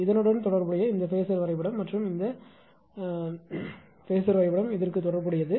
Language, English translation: Tamil, This phasor diagram corresponding to this and this phasor diagram corresponding to this